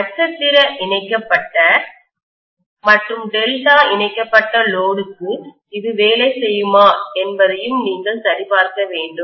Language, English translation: Tamil, And I also want you guys to verify whether it will work for star connected as well as delta connected load